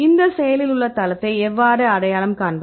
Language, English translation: Tamil, Then how to identify this active site, right